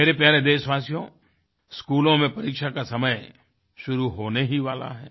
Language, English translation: Hindi, My dear countrymen, exam time in schools throughout the nation is soon going to dawn upon us